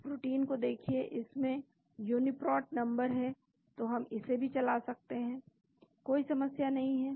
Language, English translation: Hindi, Look at this protein this has got UniProt number of again we can run this also no problem